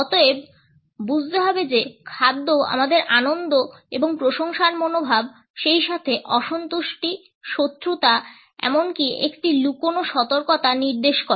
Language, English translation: Bengali, Therefore, we have to understand that food suggest an attitude of pleasure and appreciation, as well as displeasure, animosity or even a hidden warning